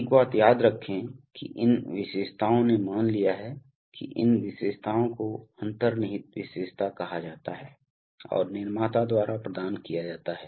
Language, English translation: Hindi, Remember one thing that these characteristics have assumed, that these characteristics are called inherent characteristics and are provided by the manufacturer